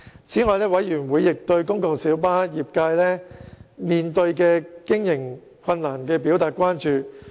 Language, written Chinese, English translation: Cantonese, 此外，委員亦對公共小巴業界面對的經營困難表達關注。, Moreover members have also expressed concern about the operational difficulties faced by the PLB trade